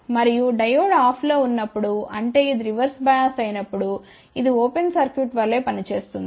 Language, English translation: Telugu, And when Diode is off; that means, when it is reverse bias then this will act as an open circuit